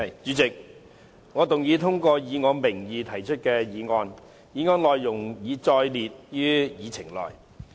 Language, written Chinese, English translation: Cantonese, 主席，我動議通過以我名義提出的議案，議案內容已載列於議程內。, President I move that the motion under my name as printed on the Agenda be passed